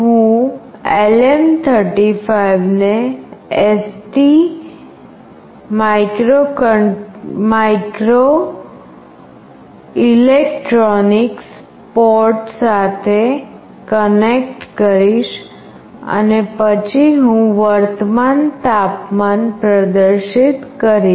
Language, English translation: Gujarati, I will be connecting LM35 with ST microelectronics port and then I will be displaying the current temperature